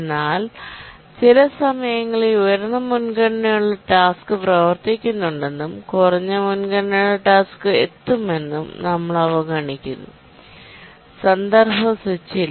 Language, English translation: Malayalam, But we are overlooking that sometimes a higher priority task may be running and a lower priority task arrives and there is no context switch